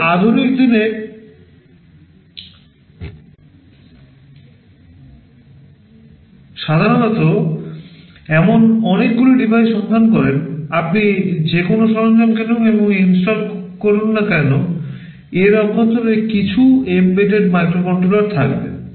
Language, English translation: Bengali, You typically find many such devices in modern day households, whatever equipment you purchase you deploy and install, there will be some embedded microcontroller inside it